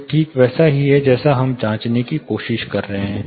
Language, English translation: Hindi, This is exactly what we are trying to check